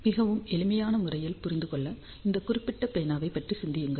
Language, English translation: Tamil, So, to understand in a very simple manner, so just think about this particular pen